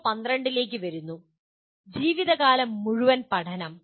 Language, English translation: Malayalam, Coming to PO12, life long learning